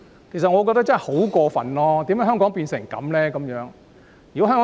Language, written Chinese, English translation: Cantonese, 我認為這實在太過分，香港為何會變成這樣？, I find that way too much overboard . Why has Hong Kong come to such a state?